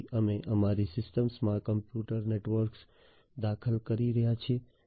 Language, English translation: Gujarati, So, we are introducing computers networks into our systems